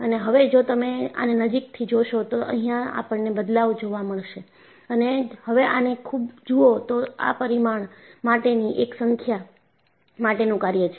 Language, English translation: Gujarati, And, if you watch it closely, I have this changing and if you look at, this is the function of number of parameters